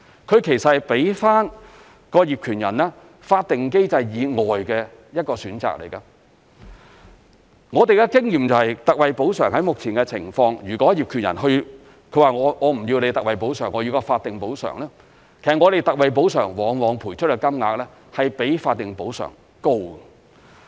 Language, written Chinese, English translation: Cantonese, 它給予業權人在法定機制以外的一個選擇。我們的經驗是，特惠補償目前的情況，如果業權人不要特惠補償，而選擇法定補償，其實我們特惠補償往往賠出的金額是較法定補償高的。, Based on our experience an owner might opt for statutory compensation instead of the existing ex gratia compensation but the ex gratia compensation often turned out to be higher than the statutory compensation